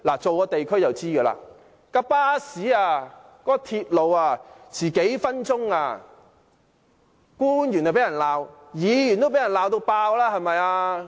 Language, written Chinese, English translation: Cantonese, 做過地區工作的人就會知道，巴士或鐵路遲到幾分鐘，官員便會被罵，連議員都會被人痛罵。, Members who have engaged themselves in district work will know that when buses or MTR trains are late for a few minutes public officers or even District Council members will be reprimanded